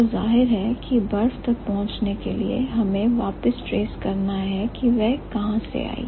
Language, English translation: Hindi, So, obviously, so to reach to the ice, we have to trace back where has it come from